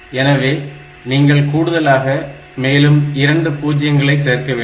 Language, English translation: Tamil, So, you have to augment it by 2 more zeroes